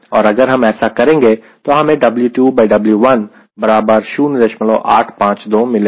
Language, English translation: Hindi, and if i do that then i get w two by w one equal to point eight five two